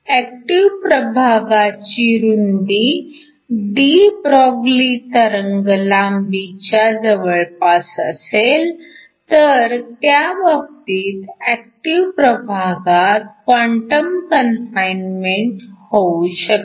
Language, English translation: Marathi, If the width of the active region is comparable to de Broglie wavelength, in that particular case we can get quantum confinement within the active region